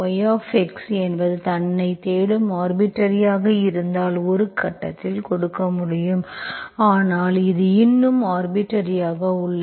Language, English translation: Tamil, If yx is the solution you are looking for in terms of itself, itself at one point, that you can give, so that is still arbitrary